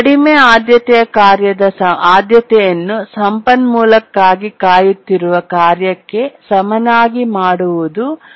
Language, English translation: Kannada, The low priority task's priority is made equal to the highest priority task that is waiting for the resource